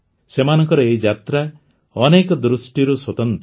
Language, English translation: Odia, This journey of theirs is very special in many ways